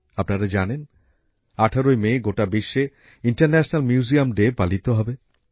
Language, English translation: Bengali, You must be aware that on the 18th of MayInternational Museum Day will be celebrated all over the world